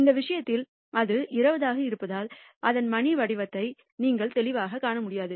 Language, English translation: Tamil, In this case because it is 20, you are not able to clearly see its bell shaped